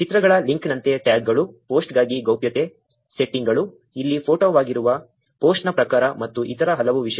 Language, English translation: Kannada, Like the link of the pictures the tags, the privacy settings for the post, the type of the post which is photo here, and multiple other things